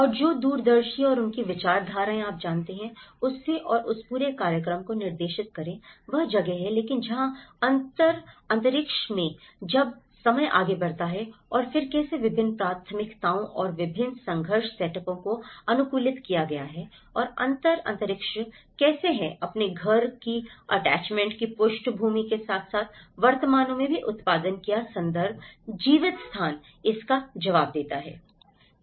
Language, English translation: Hindi, And the visionaries and their ideologies you know, direct the whole program out of it and that is where but whereas, in the differential space when the time moves on and then how different priorities and different conflict setups are adapted and how a differential space is produced that along with background of your home attachments and as well as the present context, the lived space responds to it